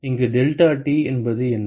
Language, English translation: Tamil, What is the deltaT here